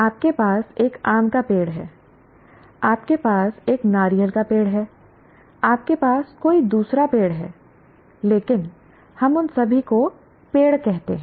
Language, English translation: Hindi, You have a mango tree, you have a coconut tree, you have a coconut tree, you have some other tree, but we call all of them as trees